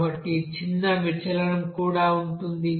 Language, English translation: Telugu, So there is also small deviation